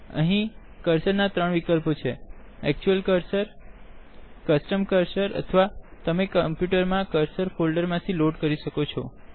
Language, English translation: Gujarati, There are 3 choices of cursors here – the actual cursor, the custom cursor or you can load the cursor from the cursors folder present on your computer